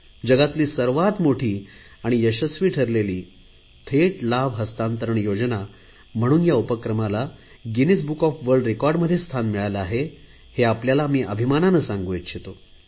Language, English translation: Marathi, I am happy to share with the countrymen that this scheme has earned a place in Guinness Book of World Records as the largest Direct Benefit Transfer Scheme which has been implemented successfully